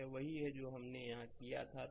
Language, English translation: Hindi, So, that is that is what we have done in that here right